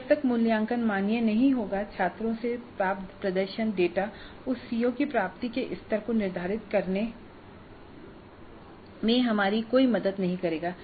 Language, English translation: Hindi, Unless the assessment is valid, the performance data that we get from the students will not be of any help to us in determining what is the level of attainment of that CO